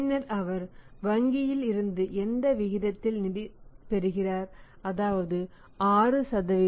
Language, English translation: Tamil, Then at what rate he is getting the funds from the bank that is 6%